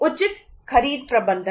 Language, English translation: Hindi, Proper purchase management